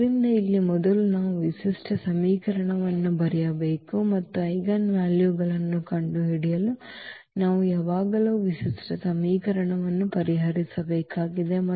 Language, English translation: Kannada, So, here first we have to write down the characteristic equation and we need to solve the characteristic equation always to find the eigenvalues